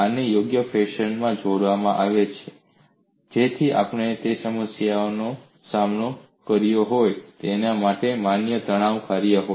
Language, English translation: Gujarati, These are combined in a suitable fashion to be a valid stressfunction for a problem that we have taken up